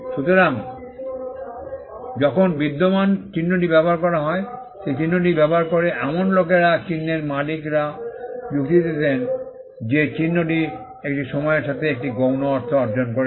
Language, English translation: Bengali, So, when an existing mark is used, the people who use the mark, the owners of the mark would argue that the mark has acquired a secondary meaning over a period of time